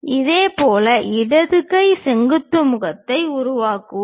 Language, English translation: Tamil, Similarly, let us construct left hand vertical face